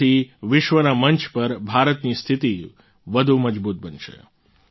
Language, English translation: Gujarati, This will further strengthen India's stature on the global stage